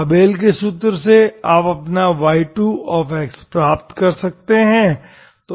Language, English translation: Hindi, From the Abel’s formula you can get your y2 x